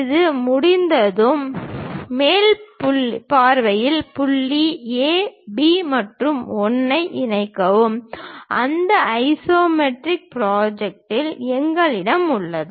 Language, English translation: Tamil, Once it is done connect point A, B and 1 in the top view we have that isometric projection